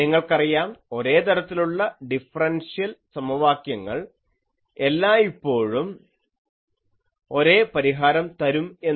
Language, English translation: Malayalam, You see, differential equation of same type always gives same solution